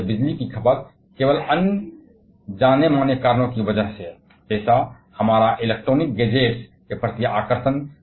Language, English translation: Hindi, And this electricity consumption is only going to increase at a even faster rate because of several quite well known reasons; like, our fascinations towards electronic gadgets